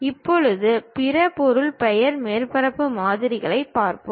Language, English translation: Tamil, Now, we will look at other object name surface model